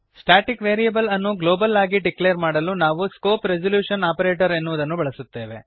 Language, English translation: Kannada, To declare the static variable globally we use scope resolution operator